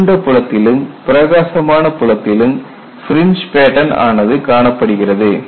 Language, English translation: Tamil, You have the fringe patterns in dark field as well as white field